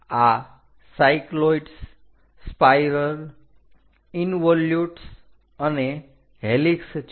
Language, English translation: Gujarati, These are cycloids, spirals, involutes and helix